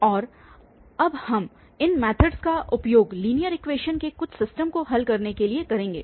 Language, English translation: Hindi, And now, we will use these methods to solve some system of linear equations